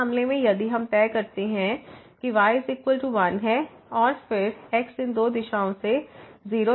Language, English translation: Hindi, So, in this case if we fix is equal to 1 and then, approach to 0 from this two directions